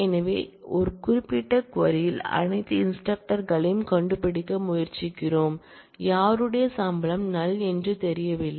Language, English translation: Tamil, So, in this particular query we are trying to find all instructors, whose salary is null that is not known